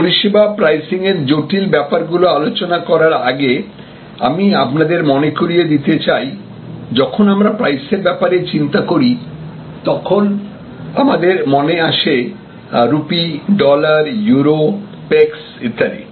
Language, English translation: Bengali, So, service pricing, now before I get to the difficulties with respect to service pricing, I would like to remind you that whenever we think of price, we think of rupees, dollars, Euros, Pecos and so on